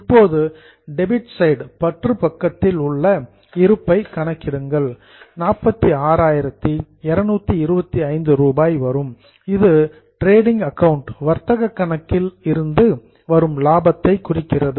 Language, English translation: Tamil, Now calculate the balance on the debit side that is 46 2 to 5 that represents the profit from trading account which is known as gross profit